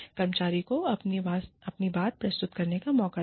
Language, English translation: Hindi, Give the employee a chance, to present his or her point of view